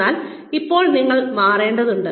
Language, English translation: Malayalam, But now, you need to change